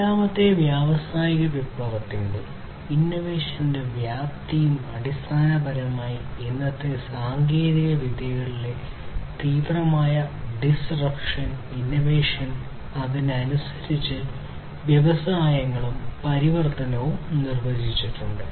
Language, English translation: Malayalam, So, the scale and scope of innovation of fourth industrial revolution has basically defined today’s acute disruption and innovation in technologies and the transformation of industries accordingly